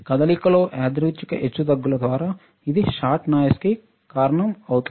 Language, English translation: Telugu, So, what happens that when there random fluctuation in the motion, this will cause the shot noise